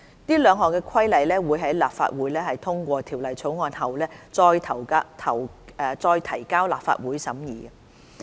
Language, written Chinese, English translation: Cantonese, 這兩項規例會在立法會通過《條例草案》後，再提交立法會審議。, These two regulations will be introduced to the Legislative Council for scrutiny after the Bill is passed by the Legislative Council